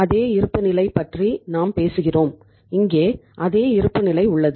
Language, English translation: Tamil, Same balance sheet we are talking about and here is the same balance sheet